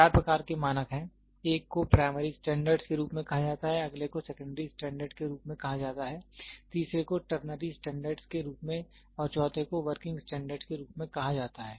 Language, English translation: Hindi, There are four types of standards; one is called as primary standards, the next one is called as secondary standard, the third one is called as ternary standards and the fourth one is called as working standard